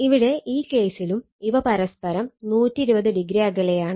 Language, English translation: Malayalam, So, in this case you have 120 degree apart from each other